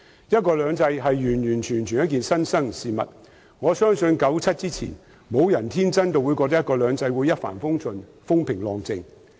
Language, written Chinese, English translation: Cantonese, "一國兩制"是新生事物，我相信1997年以前，沒有人會天真地認為"一國兩制"會一帆風順、風平浪靜。, One country two systems is a novel idea . I believe that prior to 1997 no one would naively think that one country two systems would be plain sailing without any upheavals